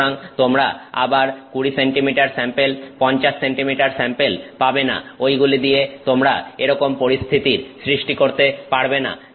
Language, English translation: Bengali, So, you cannot again have 20 centimeter samples, 50 centimeter samples those samples you are not going to be able to make in that situation